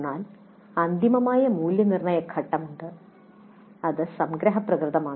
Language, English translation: Malayalam, But there is a final evaluate phase which is summative in nature